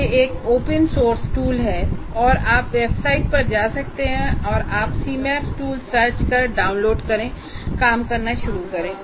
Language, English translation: Hindi, It's an open source tool and you can go to the same website or you just say CMAP tool and you can get access to that and download and start working